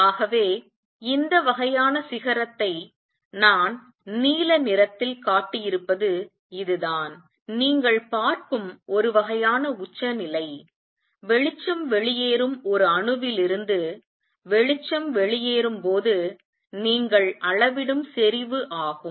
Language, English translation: Tamil, So, this is how this kind of going up and coming down this kind of peak I have shown in blue is the kind of peak that you see is kind of intensity you measure when light is coming out of an atom that is emitting, alright